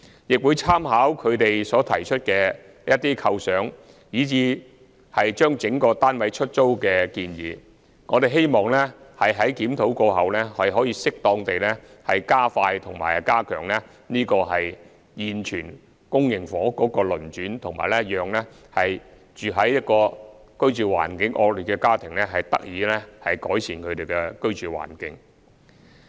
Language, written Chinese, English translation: Cantonese, 我會參考他們所提出的一些構想，以至把整個單位出租的建議，希望在檢討計劃過後，可以適當地加快和加強現有公營房屋的流轉，以及讓居住環境惡劣的家庭得以改善他們的居住環境。, I will consider the ideas proposed including letting the entire flat with the hope of following the review of the scheme properly expediting and stepping up the turnover of existing public housing units and enabling families living in poor conditions to improve their living conditions